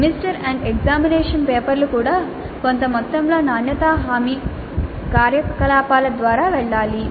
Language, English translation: Telugu, Even semester and examination papers have to go through certain amount of quality assurance activity